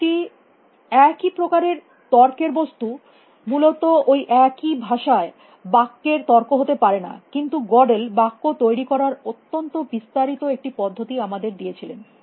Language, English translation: Bengali, The same type of an argument element could not be an argument to a sentence in that same language essentially, but Godel constructed this very elaborate; he gave us very elaborate mechanism of how to construct a sentence